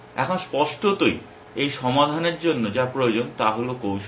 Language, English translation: Bengali, Now obviously, what this resolve needs is strategy